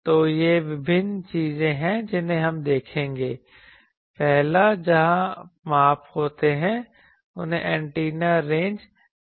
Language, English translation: Hindi, So, these are various things so we will see some of these the first one where the measurements are takes place they are called Antenna Ranges